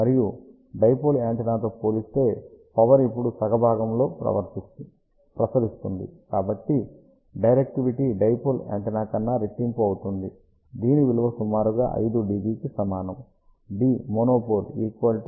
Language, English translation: Telugu, And since power is now radiated in half portion compared to a dipole antenna that is why directivity is double of dipole antenna, which is approximately equal to 5 db